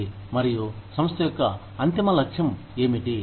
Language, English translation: Telugu, And, what the ultimate goal of the company is